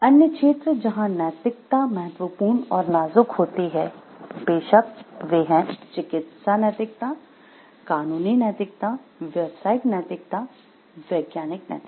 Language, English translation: Hindi, Other fields which are also ethics are important and critical are of course, medical ethics, legal ethics, business ethics scientific ethics